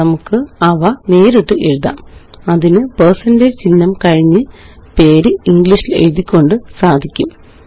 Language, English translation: Malayalam, We can write them directly, by using the percentage sign followed by the name of the character in English